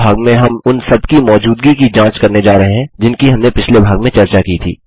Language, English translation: Hindi, In this part we are going to check for existence of all that was discussed in the last part